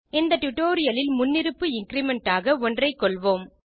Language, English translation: Tamil, In the rest of this tutorial, we will stick to the default increment of 1